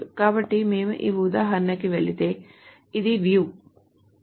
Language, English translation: Telugu, So if we go to this example so so this is the view